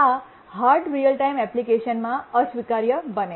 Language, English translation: Gujarati, And this becomes unacceptable in hard real time applications